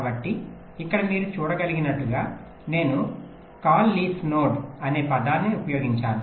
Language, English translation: Telugu, so here, as you can see, i have use that term, call leaf node